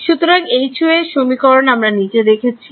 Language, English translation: Bengali, So, equation for H y was the following